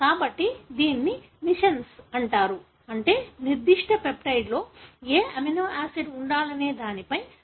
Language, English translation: Telugu, So, this is called missense, meaning they did not give a correct sense as to which amino acid should be present in that particular peptide